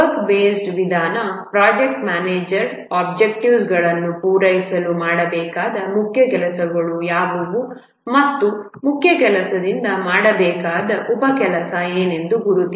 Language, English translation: Kannada, In the work based approach, the project manager identifies that to meet the objectives, what are the work that main work needs to be done and from the main work identify what are the sub work that need to be done